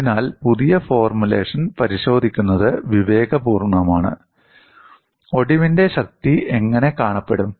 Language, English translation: Malayalam, So, it is prudent to check by the new formulation, how does the fracture strength look like